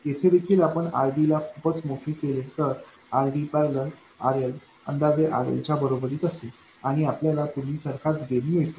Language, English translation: Marathi, Here also if we make RD very, very large, then RD parallel RL will be approximately equal to RL and we get the same gain as before